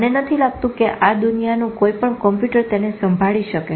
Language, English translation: Gujarati, I don't think any computer in this world can handle that